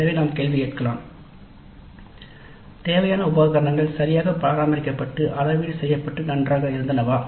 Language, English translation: Tamil, So we can ask the question required equipment was well maintained and calibrated properly